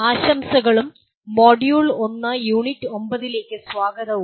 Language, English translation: Malayalam, Greetings and welcome to the Module 1 Unit 9